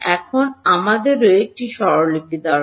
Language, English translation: Bengali, Now we also need a notation